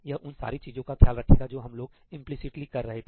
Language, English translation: Hindi, It will take care of all the things that we did implicitly